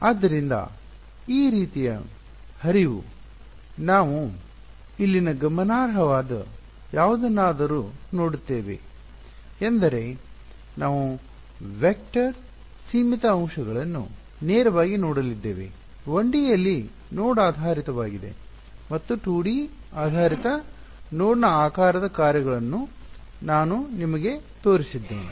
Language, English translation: Kannada, So, this is the sort of flow that we will go through something sort of significant over here is we are going to directly look at vector finite elements; what I have shown you so for are node based in 1D and I have showed you the shape functions for node based in 2D ok